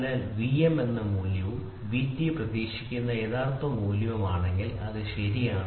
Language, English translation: Malayalam, So, V m is the measured value and V t is the true value what is expected or whatever it is, right